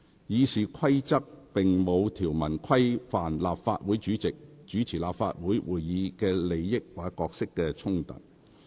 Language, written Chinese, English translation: Cantonese, 《議事規則》並無條文規範立法會主席主持立法會會議的利益或角色衝突事宜。, There is no provision in RoP governing the conflict of interest or roles of the President of the Legislative Council when chairing the Council meeting